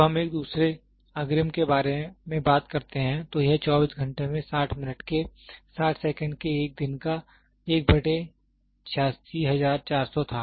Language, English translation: Hindi, When we talk about a second prior, it was 1 by 86400 of a day of 24 hours 60 minutes of 60 seconds